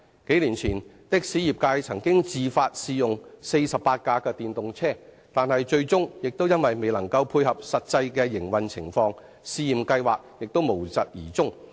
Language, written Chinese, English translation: Cantonese, 數年前，的士業界曾自發試用48輛電動車，但最終因為未能配合實際的營運情況，試驗計劃無疾而終。, A few years ago the taxi sector voluntarily launched a trial scheme involving the use of 48 electric taxis . But the trial eventually fell flat as the electric taxis concerned could not cope with actual operating needs